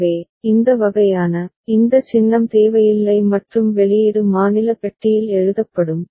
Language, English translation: Tamil, So, the this kind of, this symbol will not be required and the output will be written within the state box right